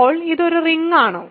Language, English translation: Malayalam, Now, is this a ring